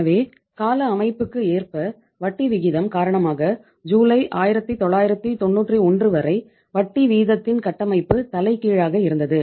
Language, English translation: Tamil, So it means because of this term structure of interest rate it is still say uh till July 1991 we had the reverse of the term structure of interest rate